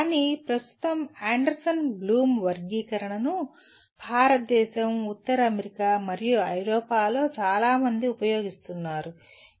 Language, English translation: Telugu, But at present Anderson Bloom Taxonomy is used by many in India, North America, and Europe